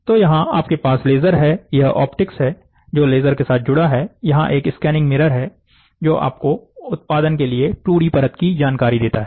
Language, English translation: Hindi, So, here you have laser, this is the optics which is attached with the laser, this is a scanning mirror; so, it gives you 2D layer information so to for producing